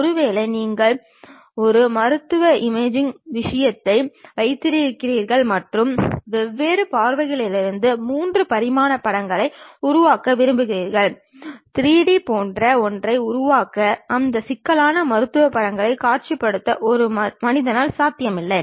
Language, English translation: Tamil, Perhaps you might be having a medical imaging thing and you would like to construct 3 dimensional pictures from different views, is not possible by a human being to really visualize that complicated medical images to construct something like 3D